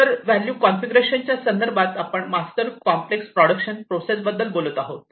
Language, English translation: Marathi, So, in terms of the value configuration, we are talking about master complex production processes